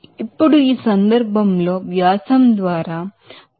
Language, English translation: Telugu, Now in this case, by diameter is given 0